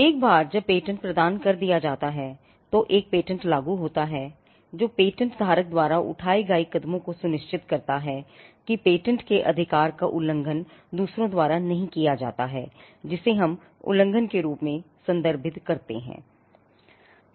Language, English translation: Hindi, Once the patent is granted, then the enforcement of a patent which refers to steps taken by the patent holder to ensure that the patent is not violated, the right in the patent is not violated by others which is what we refer to as infringement